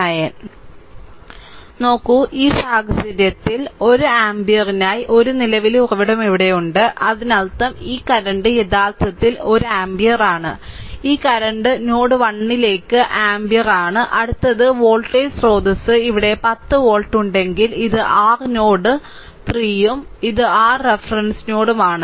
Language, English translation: Malayalam, Look, in this case, in this case, you have one current source here for 1 ampere; that means, this current actually this current is one ampere this current is 1 ampere entering into the node, right and next if voltage source is there here 10 volt and this is your node 3 and this is your reference node